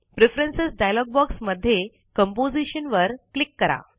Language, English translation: Marathi, From the Preferences.dialog box, click Composition